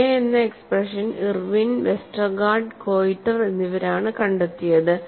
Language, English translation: Malayalam, And the expression for K is credited to Irwin Westergaard and Koiter